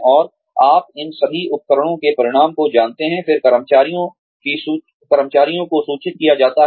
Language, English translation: Hindi, And, you know the results of, all of these tools, are then conveyed to the employees